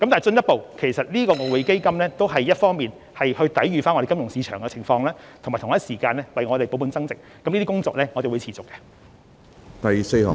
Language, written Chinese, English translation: Cantonese, 進一步來說，外匯基金的用途一方面是抵禦金融市場的挑戰，同時則達到保本增值的目的，這方面的工作我們會持續進行。, Furthermore EF is used for the purpose of withstanding challenges in the financial market on the one hand but it is also expected to achieve the objectives of capital preservation and growth . We will continue to work along this direction